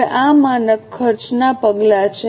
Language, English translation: Gujarati, Now, what is a standard cost